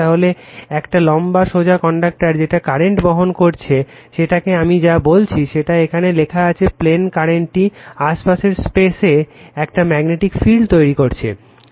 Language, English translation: Bengali, So, a long straight conductor carrying current it whatever I said it is written here right into the plane, the current causes a magnetic field to be established in the space you are surrounding it right